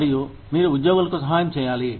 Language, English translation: Telugu, And, you need to help employees